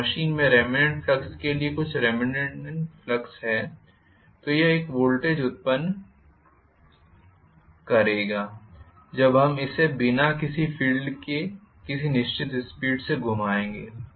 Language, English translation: Hindi, If there is some remaining flux for remanent flux in the machine it will generate a voltage even when I rotate it at certain speed, without any field current